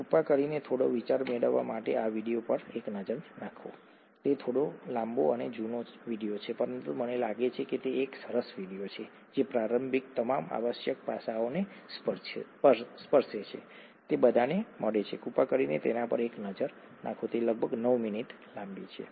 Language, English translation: Gujarati, Please take a look at this video to get some idea, it’s a slightly longish and an old video, but I think it’s a nice video which gets to all the which touches upon all the necessary aspects for an introductory kind of an exposure, please take a look at that, it’s about 9 minutes long